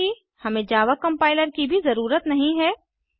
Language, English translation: Hindi, We do not need java compiler as well